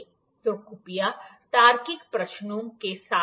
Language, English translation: Hindi, So, please come up with the logical questions